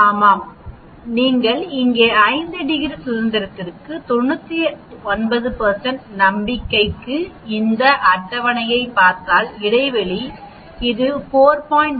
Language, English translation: Tamil, Yeah if you look at the table here for a 5 degrees of freedom, for a 99 % confidence interval it is 4